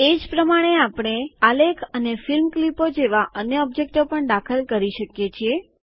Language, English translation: Gujarati, In a similar manner we can also insert other objects like charts and movie clips into our presentation